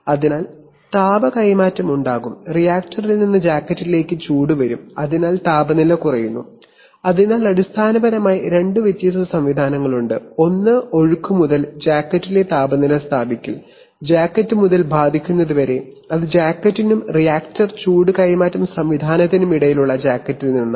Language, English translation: Malayalam, So there will be heat transfer and heat will come from the reactor to the jacket and therefore the temperature will fill fall, so there are basically two different mechanisms, one is from flow to establishment of temperature in the jacket and from jacket to affecting the, that is from the jacket between the jacket and the reactor heat transfer mechanism